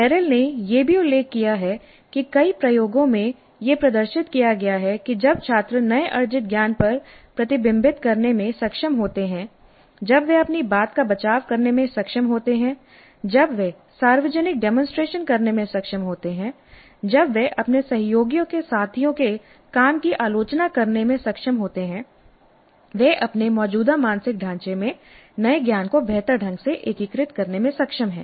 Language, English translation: Hindi, Essentially Merrill also mentions that in several experiments it has been demonstrated that when the students are able to reflect on their newly acquired knowledge and when they are able to defend their point of view and when they are able to do a public demonstration or when they are able to critique their colleagues, peers work, they are able to integrate the new knowledge better into their existing mental framework and in such instances the learners are able to retain these for much longer periods